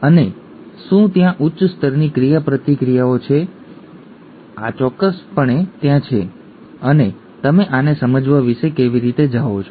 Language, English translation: Gujarati, And are there higher level interactions, ya definitely there are and how do you go about understanding this